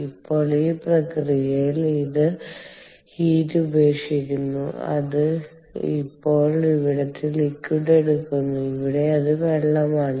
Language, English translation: Malayalam, now, in this process, it gives up heat, which is now picked up by the fluid, in this case water